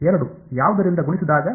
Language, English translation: Kannada, 2 multiplied by what